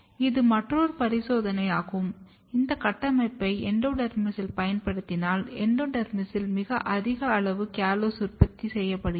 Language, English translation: Tamil, This is another experiment where if you use this construct in the endodermis, you can clearly see when you express in the endodermis very high amount of callose are getting produced in the endodermis